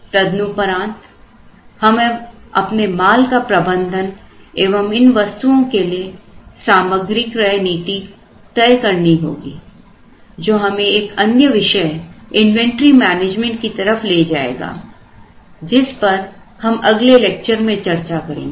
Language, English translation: Hindi, Then, how are we going to manage our material or inventory buying policies for these items so that leads us to another topic called inventory management, which we will see in the next lecture